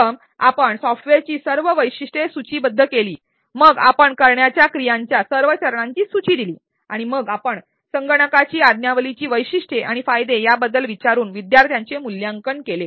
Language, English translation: Marathi, First you listed all the features of the software, then you listed all the steps of actions to be performed and then you assess the learners by asking about software features and benefits